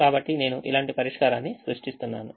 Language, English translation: Telugu, so i am just creating a solution like this